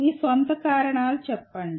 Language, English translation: Telugu, Give your own reasons